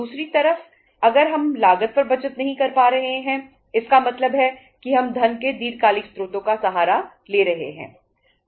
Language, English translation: Hindi, On the other side if we are not able to save up on the cost it means say we are resorting to the long term sources of funds